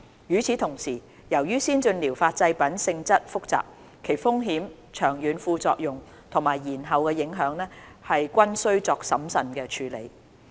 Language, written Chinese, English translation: Cantonese, 與此同時，由於先進療法製品性質複雜，其風險、長遠副作用及延後影響，均須作審慎處理。, At the same time due to their complicated nature the risks the long - term side effects or deferred effects of ATPs need to be carefully managed